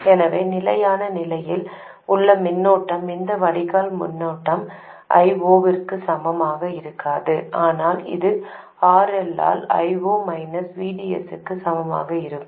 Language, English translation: Tamil, So the current, in steady state, state, this drain current will not be equal to I0 but it will be equal to I0 minus VDS by RL